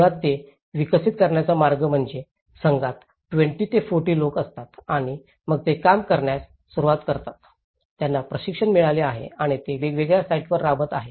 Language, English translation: Marathi, So, the way they have developed is basically, there is 20 to 40 people in a team and then they start working on, they have been got training and they have been implementing in different sites